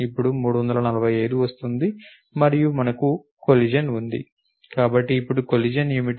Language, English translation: Telugu, Now, 345 comes along and we have a collision so, what is the collision now